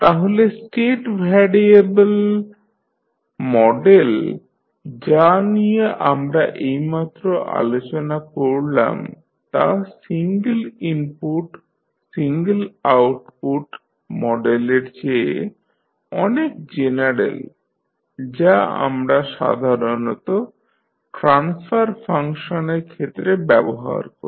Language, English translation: Bengali, So therefore, the state variable model which we have just discussed is more general than the single input, single output model which we generally see in case of the transfer function